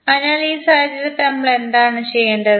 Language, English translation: Malayalam, So, in that case what we have to do